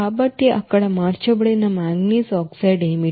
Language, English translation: Telugu, So what is that unconverted manganese oxide